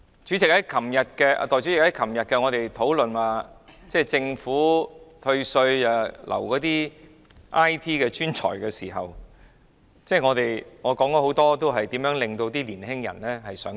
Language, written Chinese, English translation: Cantonese, 代理主席，我們昨天討論政府退稅來挽留 IT 專才的時候，我發言時舉出很多年輕一代想離開的原因。, Deputy President when I spoke in the debate yesterday on the Governments provision of tax deductions for retaining IT talents I cited the reasons why many young people intended to leave